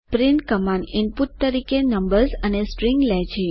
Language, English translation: Gujarati, print command, takes numbers and strings as input